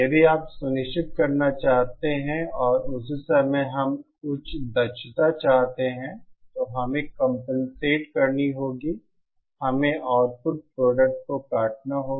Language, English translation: Hindi, If you want to ensure that and at the same time we want a higher efficiency, then we have to compensate, we have to cut corners on the output product